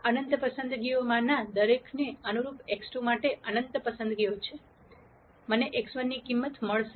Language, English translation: Gujarati, There are in nite choices for x 2 corresponding to each one of these infinite choices, I will get a value of x 1